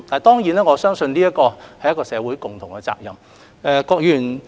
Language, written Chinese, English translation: Cantonese, 當然，我相信這始終是社會的共同責任。, Certainly I believe this is after all a shared responsibility of our society